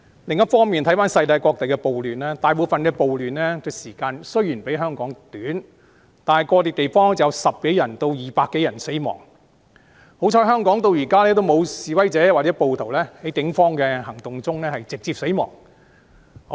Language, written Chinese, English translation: Cantonese, 另一方面，綜觀世界各地的暴亂，大部分地方的暴亂時間雖然比香港短，但個別地方有10多人至200多人死亡，幸好香港至今沒有示威者或暴徒在警方的行動中直接死亡。, Meanwhile taking an overview of riots in various places around the world the duration of riots in most of the places is shorter than that of Hong Kong yet in individual places there were deaths of a dozen to more than 200 . Luckily so far no protester or rioter has died directly in the operations of the Police . Yet some people are not happy with this